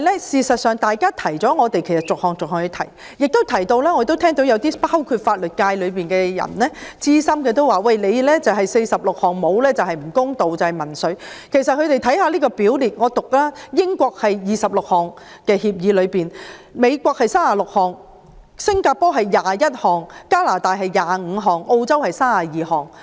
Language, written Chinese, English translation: Cantonese, 事實上，我們是逐項罪類提出的，有些法律界的資深人士亦認為不訂定46項罪類就是不公道，就是民粹，但其實各協定的表列罪類數目不一，英國是26項；美國是36項；新加坡是21項；加拿大是25項；澳洲是32項。, Moreover some veteran members of the legal sector opine that it is simply unfair and populist not to prescribe 46 items of offences . But in fact the numbers of items of offences listed in agreements with different countries vary . For instance there are 26 items in agreement with the United Kingdom; 36 items with the United States; 21 items with Singapore; 25 items with Canada; and 32 items with Australia